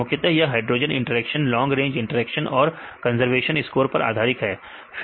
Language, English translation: Hindi, Mainly its based on hydrophobic interactions, long range interactions and plus the conservation score